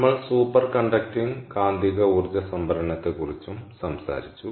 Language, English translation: Malayalam, then we also talked about superconducting magnetic energy storage